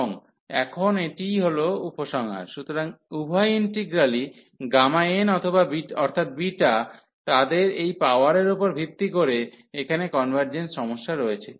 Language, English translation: Bengali, And now that is the conclusion now, so both the integrals this gamma n the beta, they have the convergence issues and based on this power here